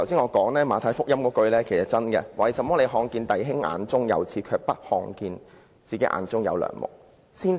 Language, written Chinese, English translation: Cantonese, 我剛才引述《馬太福音》的金句："為甚麼看見你弟兄眼中有刺，卻不想自己眼中有樑木呢？, I have quoted the golden phrase of Matthew just now Why do you see the speck that is in your brothers eye but do not notice the log that is in your own eye?